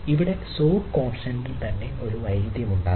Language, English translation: Malayalam, there can be violation of sod constant